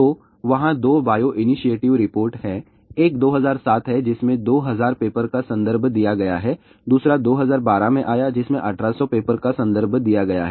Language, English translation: Hindi, So, there are two bio initiative report are there; one is 2007 which has given references of 2000 papers, another one is came in 2012 which gave references of 1800 papers